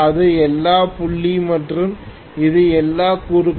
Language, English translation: Tamil, This is all dot and this is all cross